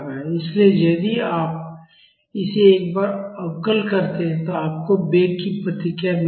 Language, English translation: Hindi, So, if you differentiate this once, you will get the velocity response